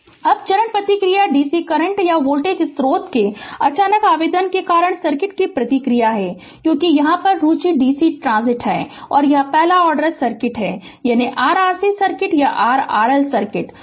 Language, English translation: Hindi, Now, the step response is the response of the circuit due to a sudden application of dc current or voltage source because our interest here is dc transient and that is first order circuit either RC circuit or RL circuit right